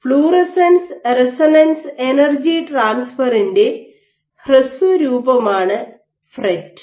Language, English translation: Malayalam, This is where the technique of fluorescence resonance energy transfer is useful